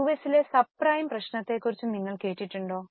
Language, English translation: Malayalam, Have you heard of subprime problem in US